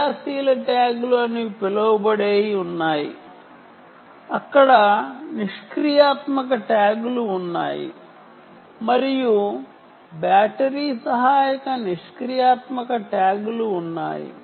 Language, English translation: Telugu, there are basically three types of tags, right, there are something called active tags, there are passive tags and there are battery assisted passive tags